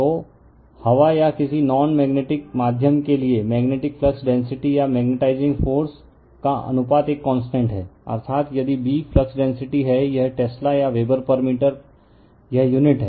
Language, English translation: Hindi, So, for air or any non magnetic medium, the ratio of magnetic flux density to magnetizing force is a constant, that is if your B is the flux density, it is Tesla or Weber per meter square it is unit right